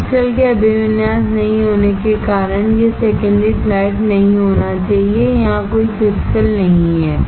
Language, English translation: Hindi, It need not be secondary flat because there is no crystal orientation, there is no crystal here